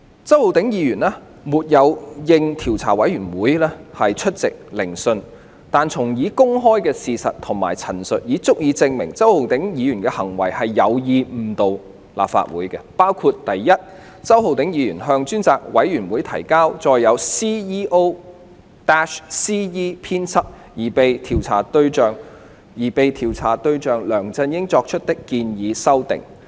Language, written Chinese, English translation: Cantonese, 周議員沒有應調查委員會邀請出席聆訊，但從已公開的事實及陳述，已足以證明周議員的行為是有意誤導立法會，包括：第一，周議員向專責委員會提交載有經 "CEO-CE" 編輯的建議修訂事項的文件。, Mr CHOW has not accepted invitation to attend the inquiry of the Investigation Committee but the disclosed facts and public statements of the case have already provided adequate evidence to prove that his acts were committed with the intention of misleading the House . These facts and statements include Firstly Mr CHOW submitted to the Select Committee a document with proposed amendments edited by the user CEO - CE